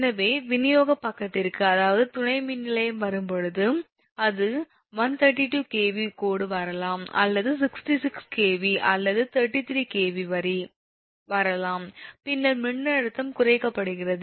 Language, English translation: Tamil, so when it comes to the distribution side, that means so when substance, that which is coming, it may be one, one, thirty two kv line is coming, or sixty six kv, or thirty three kv line is coming, then voltage actually is being stepped down